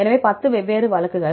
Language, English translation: Tamil, So, the 10 different cases